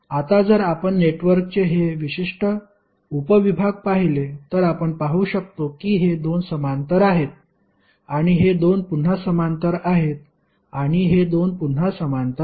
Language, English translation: Marathi, Now, if you see this particular subsection of the network, you can see that these 2 are in parallel